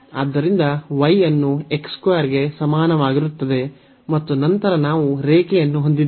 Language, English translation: Kannada, So, we have y is equal to x square and then we have the line